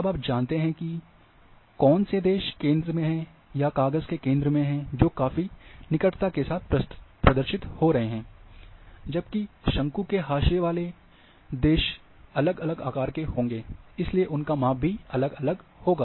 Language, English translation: Hindi, So, you know the countries which are in the centre, or a centre of the sheet will have the near to representation whereas the countries at the cone nuts or margins will have different shapes and therefore, different sizes